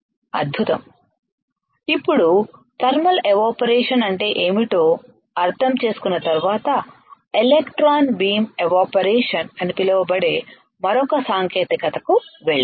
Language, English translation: Telugu, Now, once we understand what is thermal evaporator right we should go to another technique that is called electron beam evaporation